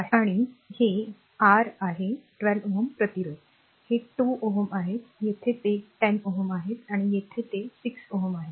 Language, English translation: Marathi, And this is your ah this is 12 ohm resistance, they are 2 ohm, here it is 10 ohm, and here it is 6 ohm, right